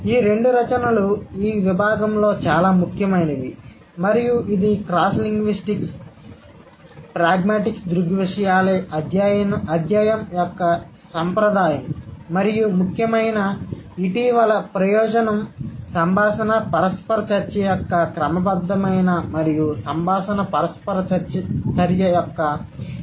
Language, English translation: Telugu, These two works are most seminal in this domain and this is a tradition of the study of cross linguistic pragmatic phenomena and important recent advances have been made in the systematic and detailed comparison of the conversational interaction